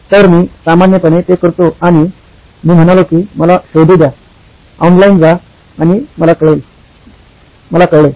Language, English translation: Marathi, So, I normally do that and I said let me find out, go online, and I found out